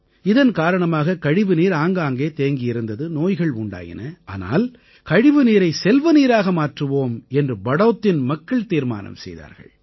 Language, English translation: Tamil, Because of this dirty water was spilling around, spreading disease, but, people of Badaut decided that they would create wealth even from this water waste